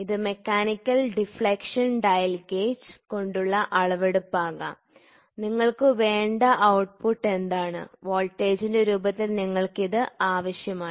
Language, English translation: Malayalam, So, this can be in terms of deflection, this can be mechanical deflection dial gauge which measures and the output; what you want, you want it in terms of voltage